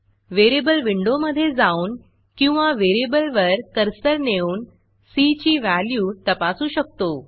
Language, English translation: Marathi, We can now check it in the variable window or hover on the variable to check its value